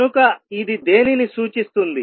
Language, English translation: Telugu, So, what does it represent